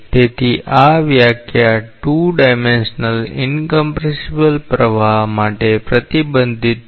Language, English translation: Gujarati, So, this definition is restricted for a 2 dimensional incompressible flow